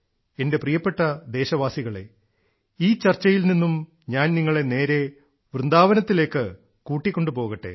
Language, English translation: Malayalam, My dear countrymen, in this discussion, I now straightaway take you to Vrindavan